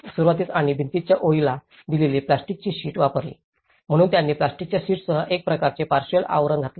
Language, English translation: Marathi, For the outset and used the plastic sheeting provided to the line of the walls, so they covered with a kind of partial covering with a plastic sheet